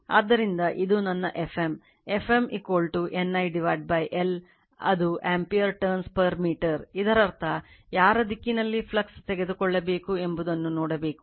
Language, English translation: Kannada, So, this will be my F m, F m is equal to this N I right your what you call by your what you call l that is the ampere turns per meter, this is your that means, you have to see the whose direction you have to take the flux